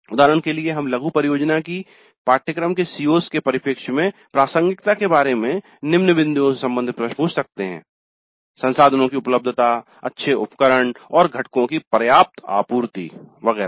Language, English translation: Hindi, For example, we can ask questions about relevance of the mini project to the CIOs of the course, availability of resources, good equipment and adequate supply of components and so on